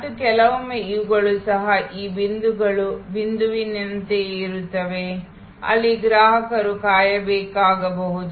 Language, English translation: Kannada, And sometimes these are also this points are the same as the point, where the customer may have to wait